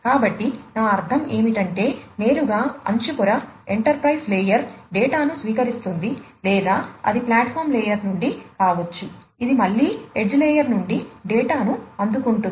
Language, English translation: Telugu, So, I mean directly from the edge layer, the enterprise layer could be receiving the data or it could be from the platform layer, which again receives the data from the edge layer